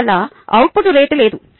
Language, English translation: Telugu, therefore, there is no output rate